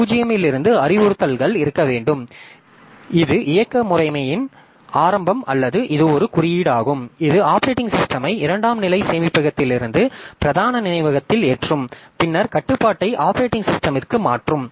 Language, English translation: Tamil, So, from location zero, I should have instructions such that either it is the beginning of the operating system or it is a simple code that loads the operating system from the secondary storage into the main memory and then transfers control to the operating system